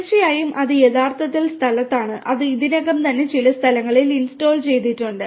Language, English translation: Malayalam, Absolutely and it is actually in place and like it is already in installed at few places